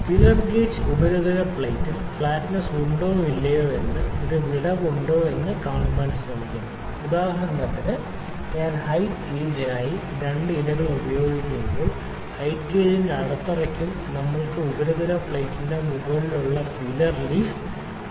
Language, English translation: Malayalam, So, this is a feeler gauge feeler gauge is also be used on the surface plate to see if there is a gap if there is the flatness or not, for instance when I will use the height gauge we will try to insert the thinnest of the feeler leaf between the base of the height gauge and the top surface of our surface plate only